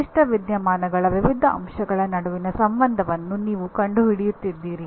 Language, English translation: Kannada, You are actually discovering the relationship between various facets of a particular phenomena